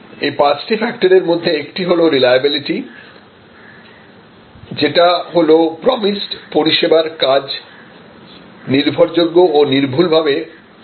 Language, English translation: Bengali, These five factors are a reliability, reliability is the performance of the promised service dependably and accurately